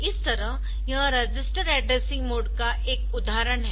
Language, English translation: Hindi, So, this is an example of this register addressing mode